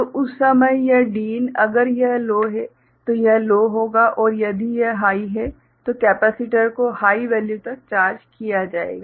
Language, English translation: Hindi, So, at that time this Din if it is low, so it will be low and if it is high then capacitor will be charged to high value